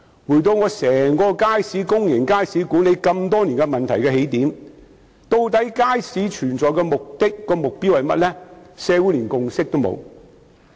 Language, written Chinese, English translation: Cantonese, 回到管理公眾街市多年來所面對的問題的起點，究竟設立街市的目的和目標是甚麼？, Let me start with the problems faced by the management of public markets over the years . What exactly are the purpose and objective of the provision of markets?